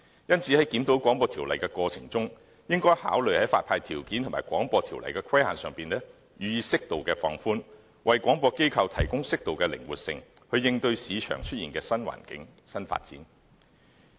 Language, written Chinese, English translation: Cantonese, 因此，在檢討《廣播條例》的過程中，應考慮在發牌條件和《廣播條例》的規限上予以適度放寬，為廣播機構提供適度的靈活性，應對市場出現的新環境和新發展。, Therefore appropriate relaxation of the licensing conditions and of the restrictions under BO should be considered in the process of reviewing BO so as to give broadcasters suitable flexibility in tackling the new environment and new developments in the market